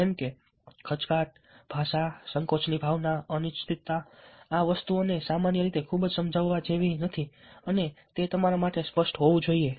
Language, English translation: Gujarati, ok, hesitation, language communicating in the sense of hesitation, uncertainty, these things are generally not very persuasive and that should be obvious to you